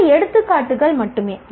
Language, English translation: Tamil, These are examples only